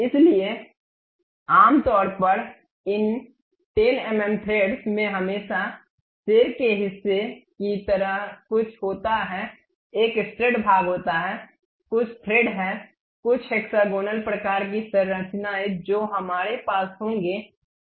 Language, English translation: Hindi, So, usually these 10 mm threads always be having something like a head portion, there is a stud portion, there are some threads some hexagonal kind of structures we will be having